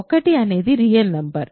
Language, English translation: Telugu, 1 is a real number